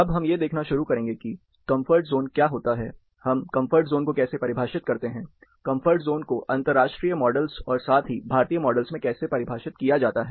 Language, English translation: Hindi, Now we will start looking at, what comfort zone is, how do we define comfort zone, how comfort zone is defined in international models, as well as Indian models